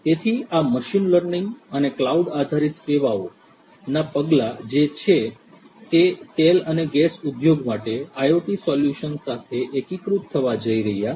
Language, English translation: Gujarati, So, these are the steps in the machine learning and cloud based services that are going to be integrated with the IoT solutions for the oil and oil and gas industry